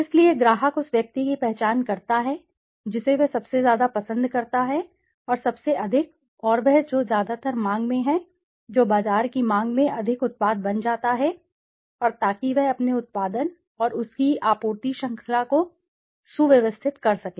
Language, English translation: Hindi, So, that the customer then identifies that which one he likes most and most of the, and the one which is mostly in demand that becomes more a product more in demand for the marketer and so that he can maybe streamline his production and his supply chain according to the demand of the market